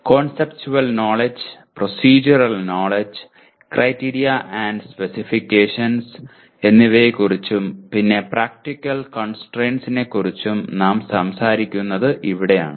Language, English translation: Malayalam, And this is where we are also talking about Conceptual Knowledge, Procedural Knowledge, Criteria and Specifications and even Practical Constraints